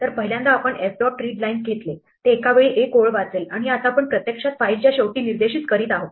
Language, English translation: Marathi, So, the first time we did f dot readlines, it read one line at a time and now we are actually pointing to the end of the file